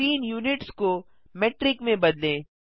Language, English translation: Hindi, Change scene units to Metric